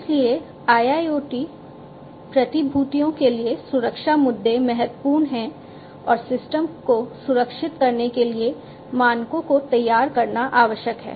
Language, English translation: Hindi, So, for industrial internet IIoT securities security issues are important and securing the standards for securing the systems are required to be designed